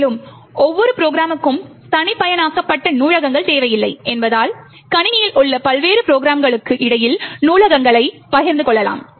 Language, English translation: Tamil, Further, since we do not require customized libraries for each program, we can actually share the libraries between various programs in the system